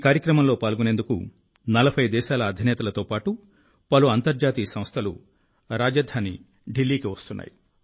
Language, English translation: Telugu, Heads of 40 countries and many Global Organizations are coming to the capital Delhi to participate in this event